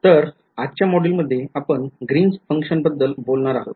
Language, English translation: Marathi, So, today’s module, we will talk about Greens functions